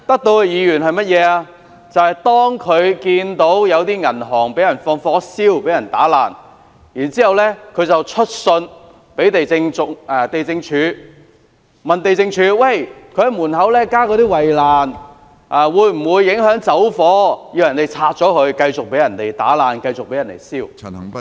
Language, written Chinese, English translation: Cantonese, 他們選出的議員看到有銀行遭人縱火和破壞，還去信地政總署查詢，銀行在門外加建圍欄會否影響火警時逃生，要求銀行拆除，讓銀行繼續遭人破壞、縱火。, After seeing a bank being set on fire and vandalized a Member elected by them wrote to the Lands Department to enquire whether the shutters installed by the bank outside its entrance would block the escape route in the event of a fire and request the removal of such shutters by the bank such that people might continue to vandalize and set fire on the bank